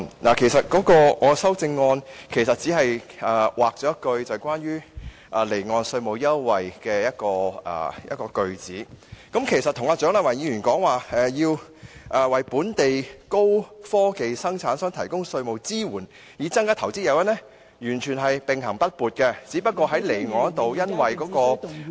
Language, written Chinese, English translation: Cantonese, 我的修正案其實只刪除了有關離岸稅務支援的措辭，與蔣麗芸議員提到的"為本地高科技生產商提供稅務支援，以增加投資誘因"完全並行不悖，只不過在離岸方面，基於......, In fact my amendment just deletes the wording about offshore tax support which is in no way incompatible with Dr CHIANG Lai - wans proposal to provide tax support for local high - technology manufacturers to increase their investment incentive . Just that when it comes to the offshore side given